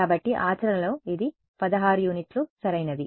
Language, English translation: Telugu, So, in practice it is going to be 16 units right